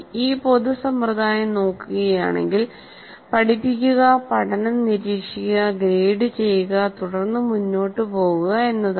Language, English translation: Malayalam, If you look at this common practice is to teach, test the learning, grade it and then move on